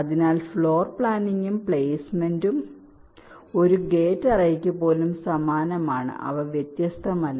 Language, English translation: Malayalam, so floor planning and placement, even for a gate array, is ah is is identical